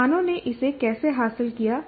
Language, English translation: Hindi, And the institutions, how did they achieve this